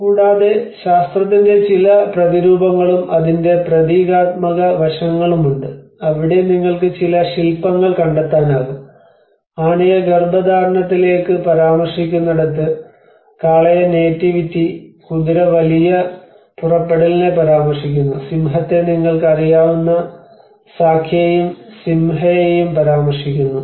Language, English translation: Malayalam, \ \ \ And there are also some iconographic aspects of science and symbolic aspects of it where you can find some sculpture as well where in their time elephant is referred to the conception, bull is referred to nativity, horse is referred to great departure, lion is referred to Sakya and Simha you know